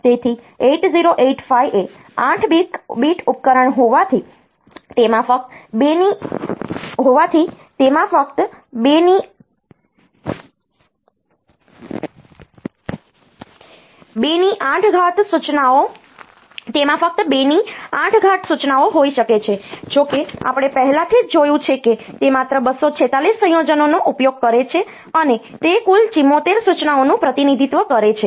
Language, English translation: Gujarati, So, since 8085 is an 8 bit device, it can have only 2 power 8 instructions; however, we have already seen that it uses only 246 combinations, and that represents a total of 74 instructions only